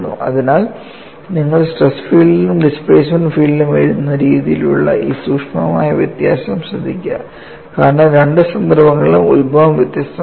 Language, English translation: Malayalam, So, note this subtle difference in the way you write the stress field as well as the displacement field, because the origins are in different in both the cases